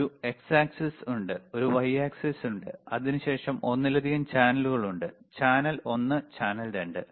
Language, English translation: Malayalam, tThere is an x axis, there is a y axis, and then there is there are multiple channels, right channel one, channel 2